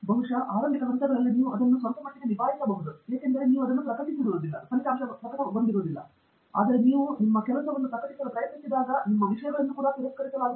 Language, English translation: Kannada, Maybe in the initial phases you can deal with it little bit because you have not really published it, but when you try to publish the work, even there you will see things will get rejected